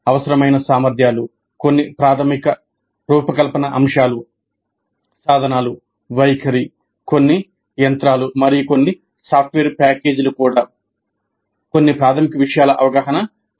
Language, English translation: Telugu, The competencies required, some basic design concepts, tools, attitude, even some machinery and some software packages, some elementary exposure, basic exposure would be required